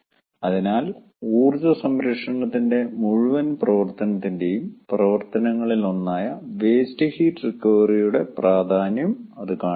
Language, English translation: Malayalam, so that shows the importance of waste heat recovery, which is one of the activities of the whole activity of energy conservation